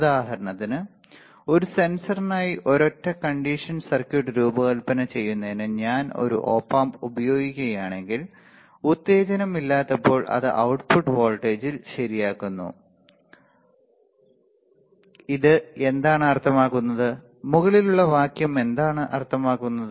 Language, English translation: Malayalam, So, for example, if I use an op amp for designing a single condition circuit for a sensor, when no stimulus, it results in an output voltage correct that what does this mean, what does the above sentence means